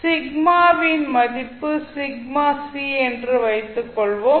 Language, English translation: Tamil, Let's assume that, value of sigma is sigma c